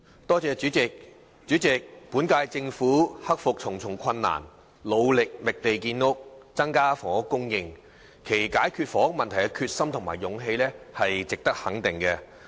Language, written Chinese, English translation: Cantonese, 代理主席，本屆政府克服重重困難，努力覓地建屋，增加房屋供應，其解決房屋問題的決心和勇氣值得肯定。, Deputy President the Government of the current term has overcome numerous difficulties in its efforts to identify land for housing construction to increase housing supply . Its determination and courage to resolve the housing problem is commendable